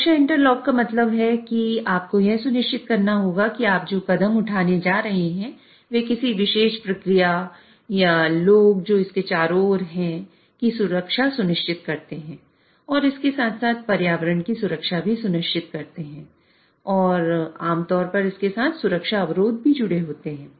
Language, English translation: Hindi, So, safety interlock means you have to ensure that while the steps which you are going to take, they ensure safety of the particular process, people who are around it as well as safety of the environment and there are generally safety constraints associated with it